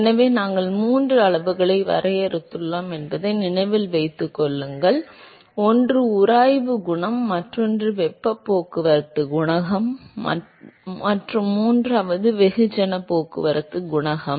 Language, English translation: Tamil, So, remember that we defined three quantities, one is the friction coefficient, the other one is the heat transport coefficient and the third one is the mass transport coefficient